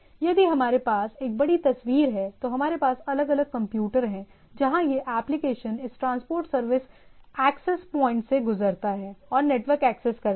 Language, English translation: Hindi, So, if we have a big picture, so we have different computers where this applications through this transport service access point and there is network access